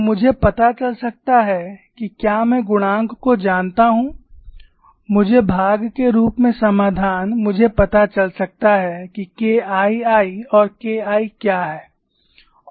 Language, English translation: Hindi, So, I can find out if I know the coefficients, as part of the solution I can find out what is k 2 and k 1